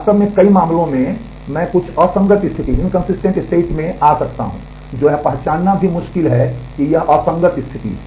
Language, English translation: Hindi, In fact, in some in many cases I may get into some inconsistent state which is very difficult to even recognize that it is an inconsistent state